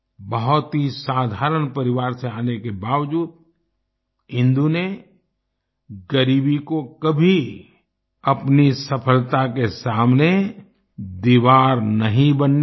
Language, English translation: Hindi, Despite being from a very ordinary family, Indu never let poverty become an obstacle in the path of her success